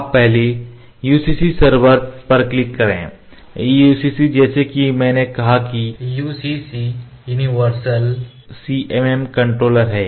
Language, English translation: Hindi, You first click on the UCC server, UCC as I said UCC is universal CMM controller